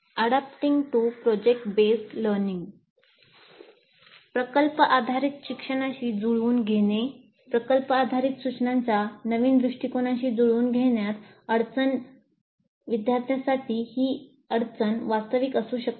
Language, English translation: Marathi, Then adapting to project based learning, difficulty in adapting to the new approach of project based instruction for students, this difficulty can be very real